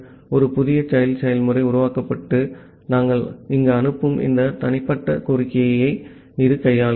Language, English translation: Tamil, A new child process gets created and it handles this individual request that we are sending here